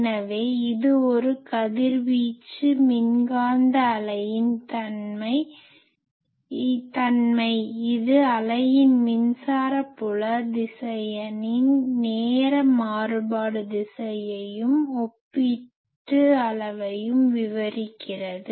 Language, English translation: Tamil, So, it is that property of a radiated electromagnetic wave, which describes the time varying direction and relative magnitude of the electric field vector of the wave